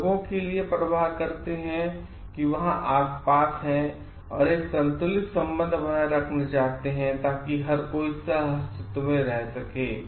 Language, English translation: Hindi, They care for the people that there the around, and they want to like maintain a balanced relation so that everybody can coexist